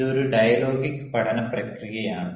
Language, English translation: Malayalam, it is a dialogic learning process